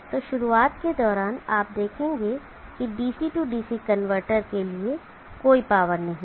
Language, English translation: Hindi, So during this start you will see that there is no power for the DC DC converter